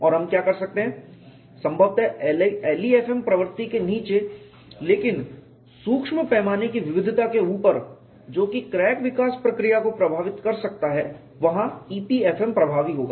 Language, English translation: Hindi, And what we could do is possibly below the LEFM regime, but above the micro scale heterogeneity which can influence the crack growth process EPFM would be effective